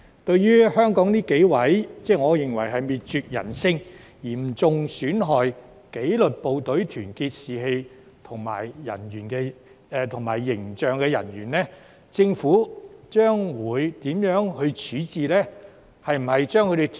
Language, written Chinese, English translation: Cantonese, 至於香港這幾名我認為是滅絕人性、嚴重損害紀律部隊團結士氣和形象的人員，政府會如何處置呢？, How will the Government deal with the several Hong Kong officers who I think are inhuman and seriously undermine the unity morale and image of the disciplined services?